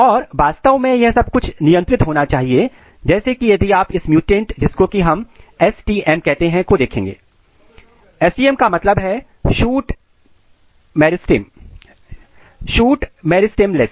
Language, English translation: Hindi, And of course, this is this also has to be regulated if you see this case this is a mutant which is called STM; STM is for Shoot Meristemless